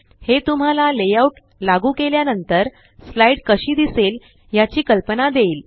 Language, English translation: Marathi, It gives you an idea of how the slide will appear after the layout has been applied